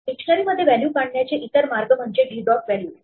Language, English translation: Marathi, In other way to run through the values in a dictionary is to use d dot values